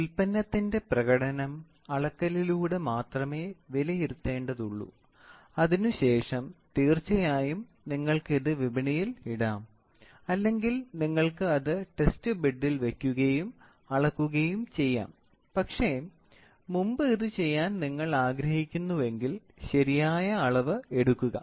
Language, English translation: Malayalam, So, the performance of the product has to be evaluated only by measurement and afterwards of course, you can put it on the market or you can put it in the test bed and then measure it, but if you want to do it before then you do a proper measurement